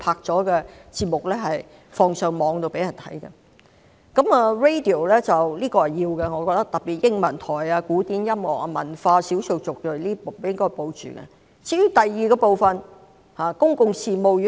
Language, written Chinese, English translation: Cantonese, 在電台方面，我覺得有需要繼續營辦，特別是英文台、古典音樂、文化、少數族裔頻道，應該予以保留。, As for radio I think there is a need to maintain the service . In particular the English channel and the programmes on classical music culture and ethnic minorities should be retained